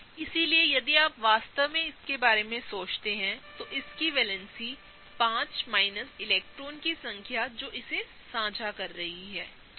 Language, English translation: Hindi, So, if you really think about it, its valency is 5 minus the number of electrons that it is sharing, right